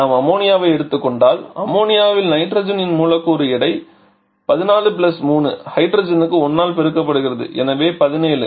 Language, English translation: Tamil, Like suppose if we take ammonia, ammonia is a molecular weight of nitrogen is 14 + 3 into 1 for hydrogen, so 17 then its name will be R717